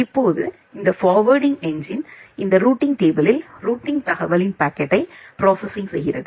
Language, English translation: Tamil, Now this forwarding engine it makes our route lookup on this routing table and make up our packet processing of the routing informations